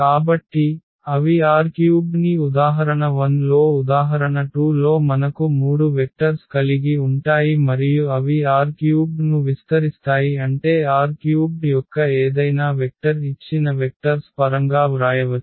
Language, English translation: Telugu, So, but they do not span R 3 in example 1 in example 2 we have three vectors and they span R 3 means any vector of R 3 we can write down in terms of those given vectors